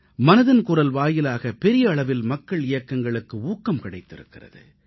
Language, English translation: Tamil, The medium of 'Mann Ki Baat' has promoted many a mass revolution